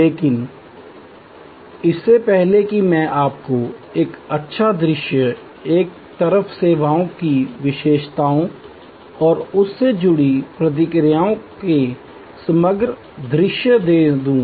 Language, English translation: Hindi, But, before that let me give you a nice view, composite view of the characteristics of services on one side and the responses linked to that